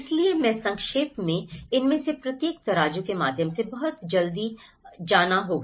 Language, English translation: Hindi, So, I will briefly go through each of these scales very quickly